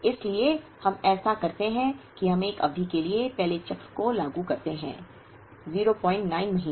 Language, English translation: Hindi, So, when we do that we implement the first cycle for a period of 0